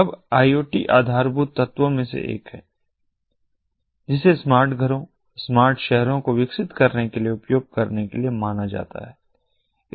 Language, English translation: Hindi, now, iot is one of the building blocks that is considered to be of use for developing smart homes and smart cities